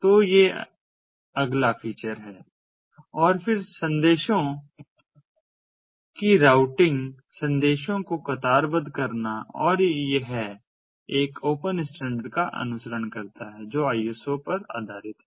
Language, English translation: Hindi, and then routing of messages, queuing of messages, and that it follows an open standard which is based on iso